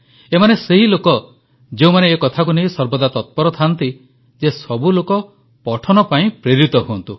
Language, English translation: Odia, These are people who are always eager to get everyone inspired to study